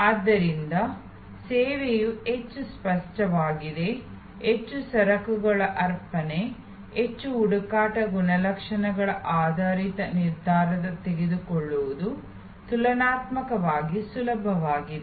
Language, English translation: Kannada, So, more tangible is the service, the more goods heavy is the offering, the more search attribute based decision making taking place which is comparatively easier